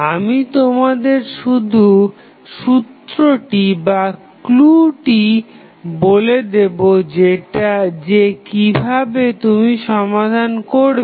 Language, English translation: Bengali, So, I will just give you the clue that how you will solve it